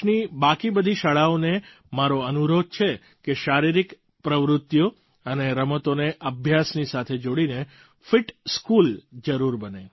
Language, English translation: Gujarati, I urge the rest of the schools in the country to integrate physical activity and sports with education and ensure that they become a 'fit school'